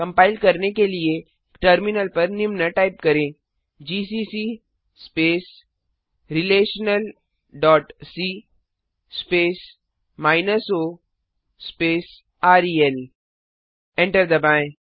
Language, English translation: Hindi, To compile, type the following on the terminal gcc space relational dot c space o space rel Press Enter